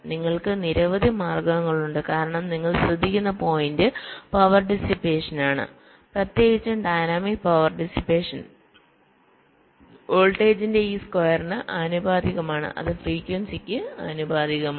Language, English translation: Malayalam, you can, because the the point you note, that is, that the power dissipation, particularly the dynamic power dissipation, is proportional the to this square of the voltage and it is proportional to the frequency